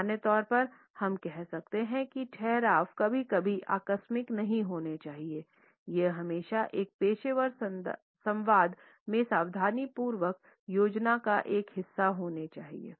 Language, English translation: Hindi, In general we can say that the pause should never be accidental it should always be a part of careful planning in a professional dialogue